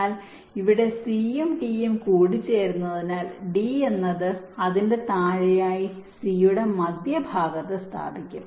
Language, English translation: Malayalam, but here, because c and d are merging, d will be placed just to the center of c, below it